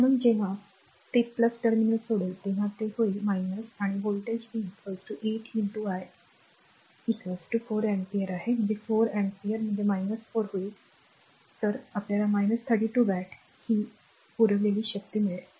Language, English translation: Marathi, So, when it is leaving the plus terminal it will be minus and voltage is V is equal to 8 into I is equal to your 4 ampere this is the 4 ampere, minus 4 so, this will be minus 32 watt right this is the power supplied right, this is power supplied